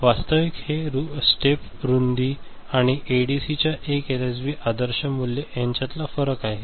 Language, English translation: Marathi, This is the difference between an actual step width ok, and the ideal value of 1 LSB for ADC